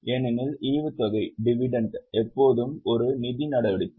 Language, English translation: Tamil, Because dividend is always a financing activity